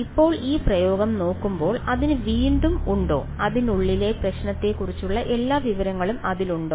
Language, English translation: Malayalam, Now looking at this expression does it have again does it have all the information about the problem inside it